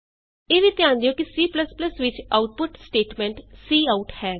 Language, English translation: Punjabi, Also, notice that the output statement in C++ is cout